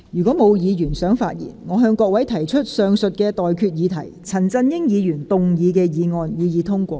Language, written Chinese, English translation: Cantonese, 我現在向各位提出的待決議題是：陳振英議員動議的議案，予以通過。, I now put the question to you and that is That the motion moved by Mr CHAN Chun - ying be passed